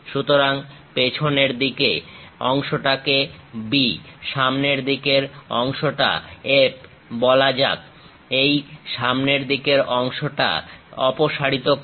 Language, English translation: Bengali, So, let us call back side part B, front side part F; remove this front side part